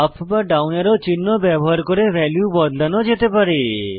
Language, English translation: Bengali, Values can be changed by using the up or down arrows